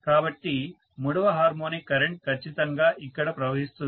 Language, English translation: Telugu, So, the third harmonic current can definitely flow here